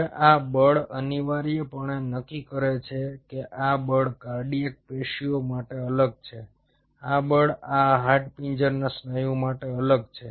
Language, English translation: Gujarati, now this force essentially determines: this force is different for cardiac tissue, this force is different for this skeletal muscle